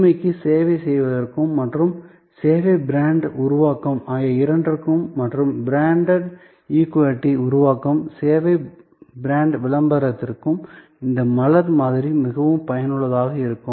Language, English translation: Tamil, So, both for servicing innovation and for service brand creation and service brand promotion creating the brand equity, this flower model can be very useful